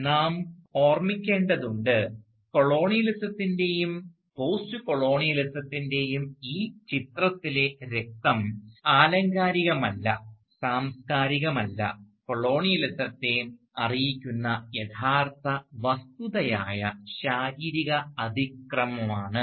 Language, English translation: Malayalam, And therefore, we need to remember, that the blood in this picture of colonialism and postcolonialism is not metaphorical, is not cultural, but real physical violence, was a real fact that informed colonialism